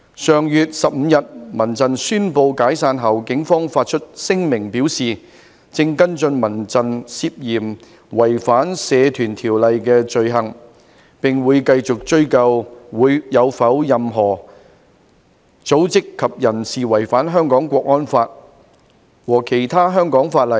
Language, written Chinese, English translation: Cantonese, 上月15日民陣宣布解散後，警方發出聲明表示，正跟進民陣涉嫌違反《社團條例》的罪行，並會繼續追究有否任何組織及人士違反《香港國安法》和其他香港法例。, Following CHRFs announcement of its disbandment on the 15th of last month the Police issued a statement indicating that they were following up CHRFs suspected offences of violating the Societies Ordinance and would continue to pursue whether any organization and person had violated the National Security Law for Hong Kong and other Hong Kong laws